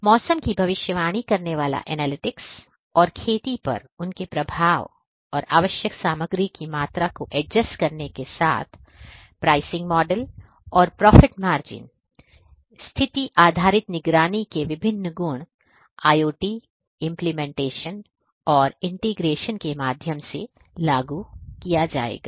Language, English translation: Hindi, Analytics predicting weather and their impact on farming and adjusting the amount of required material, pricing models with profit margin; these are the different attributes of condition based monitoring which are going to be implemented through the integration of IoT solutions